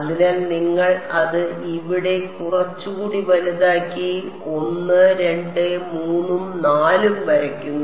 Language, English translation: Malayalam, So, you draw it little bit bigger here 1 2 3 and 4